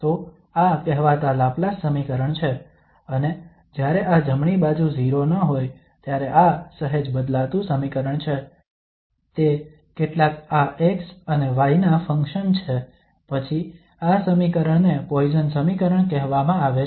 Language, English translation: Gujarati, So this is the so called Laplace equation, and a slight variant of this equation when the right hand side is not 0, it is some function of this x and y then this equation is called Poisson equation